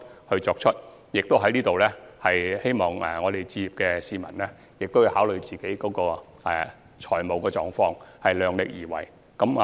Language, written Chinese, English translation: Cantonese, 此外，我亦希望想置業的市民考慮自己的財務狀況，量力而為。, Moreover I also hope that potential home buyers could take into account their financial capability in making decisions on buying properties